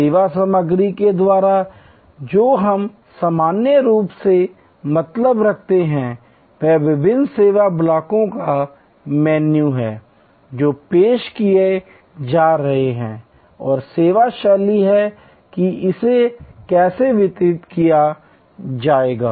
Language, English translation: Hindi, By service content, what we normally mean is the menu of different service blocks, that are being offered and service style is how it will be delivered